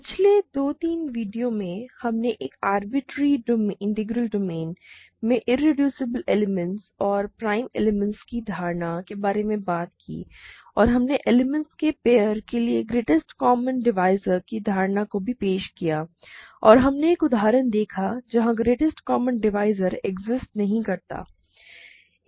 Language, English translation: Hindi, In the last two, three videos, we talked about the notion of irreducible elements and prime elements in an arbitrary integral domain and we also introduced the notion of greatest common divisor for a pair of elements and we saw an example where they greatest common divisor may not exist